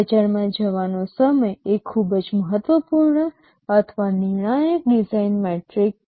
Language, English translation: Gujarati, Time to market is a very important or crucial design metric